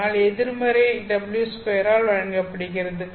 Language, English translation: Tamil, So that is given by negative w square